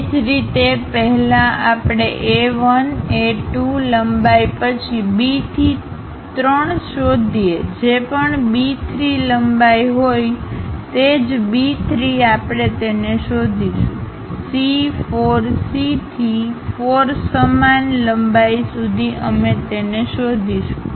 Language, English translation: Gujarati, In the similar way first we locate A 1, A 2, length then B to 3 whatever the B 3 length we have same B 3 we will locate it; from C 4 C to 4 same length we will locate it